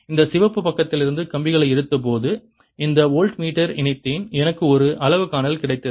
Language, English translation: Tamil, when i took the wires from this red side, i connected this to a voltmeter, i got one reading